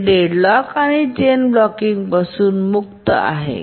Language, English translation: Marathi, It's free from deadlock and chain blocking